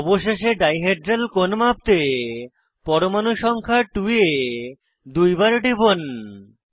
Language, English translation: Bengali, Lastly, to fix the dihedral angle measurement, double click on atom number 2